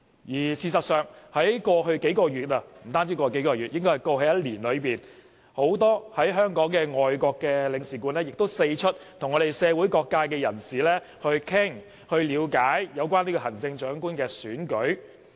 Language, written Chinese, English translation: Cantonese, 而事實上，在過去數個月——不單過去數個月而是過去1年——很多駐港的外國領事館人員亦四出跟社會各界人士談論及了解有關行政長官選舉的事宜。, In fact over the past few months not the past few months but the past year many officials of various foreign consuls in Hong Kong have taken the initiative to meet with members from different sectors of society to discuss and enquire about matters concerning the Chief Executive Election